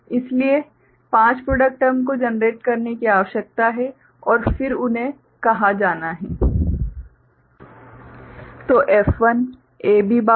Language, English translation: Hindi, So, five product terms need to generated and then they need to be called, right